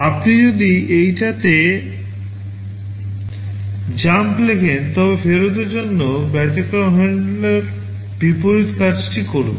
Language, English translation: Bengali, If you jump to this, for return the exception handler will do the reverse thing